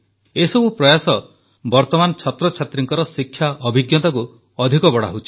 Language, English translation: Odia, All of these endeavors improve the learning experience of the current students